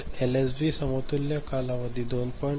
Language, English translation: Marathi, So, LSB equivalent since the span is 2